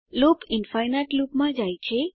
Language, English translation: Gujarati, Loop goes into an infinite loop